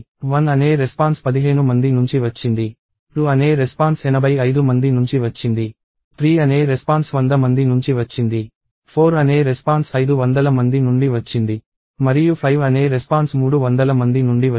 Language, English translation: Telugu, Response of one came from fifteen people, response of 2 came from 85 people, response of 3 came from 100 people, response of 4 came from 500 people and response of 5 may be came from 300 right